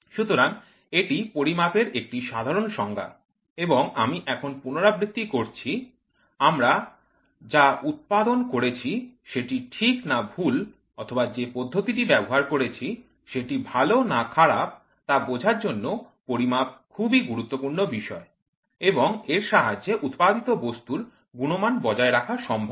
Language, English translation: Bengali, So, this is what is a simple definition for measurement and I repeat now, measurements are very important to understand what we have manufactured whether it is correct or wrong or whether the process what we have followed is good or bad, so such that the efficiency of the product is maintained